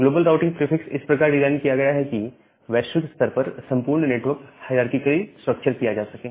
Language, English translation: Hindi, The global routing prefix it is designed such that this entire network globally that can be structured hierarchically